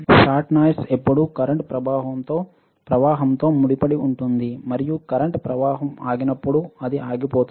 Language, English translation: Telugu, Shot noise always associated with current flow and it stops when the current flow stops